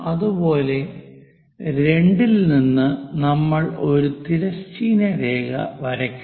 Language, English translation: Malayalam, Parallel to that, we will draw a line